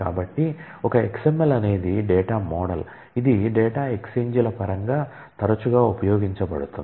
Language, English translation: Telugu, So, it is a XML is a data model which is frequently used in terms of data exchanges